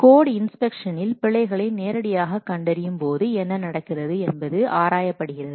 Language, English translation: Tamil, In code inspection what is happening the errors are directly detected